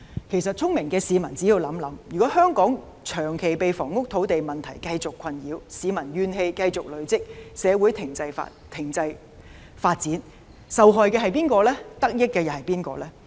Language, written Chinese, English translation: Cantonese, 其實，聰明的市民只要想想，便知道如果香港長期被房屋土地問題繼續困擾，市民怨氣繼續積累，社會停滯發展，受害的是誰，得益的又是誰？, In fact when people come to think about this they should be smart enough to realize that if Hong Kong continues to be bothered by the housing and land problems long term peoples grievances will continue to accumulate and the development of society will become stagnant . Then who are going to suffer and who are going to benefit?